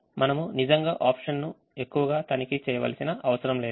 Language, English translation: Telugu, we don't need to really check the options so much